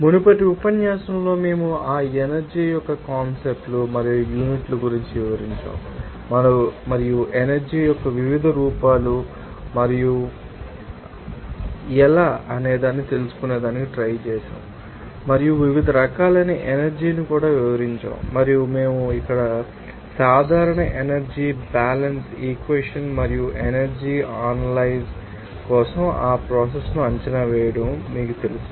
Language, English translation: Telugu, In the previous lecture we have described regarding concepts and units of that energy and also what are the different forms of energy and also how it can be calculated that given some you know idea and also described that different forms of energy and also we have given the general energy balance equation and how that energy balance equation can be you know used to you know assess that process for an energy analyze